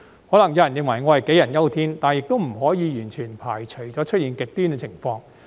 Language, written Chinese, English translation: Cantonese, 可能有人認為我杞人憂天，但亦不可以完全排除會出現極端的情況。, Some people may think that my worries are unwarranted but we cannot completely rule out the possibility that extreme situations may arise